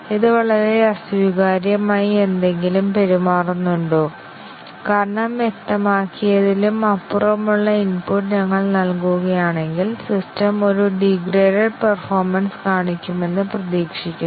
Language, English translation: Malayalam, Does it behave something very unacceptably because if we gives input which is beyond what is specified, it is expected that the system will show a degraded performance